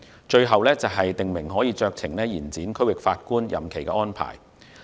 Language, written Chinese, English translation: Cantonese, 最後，訂明可酌情延展區域法院法官任期的安排。, Lastly provide for discretionary extension of term of office for Judges of the District Court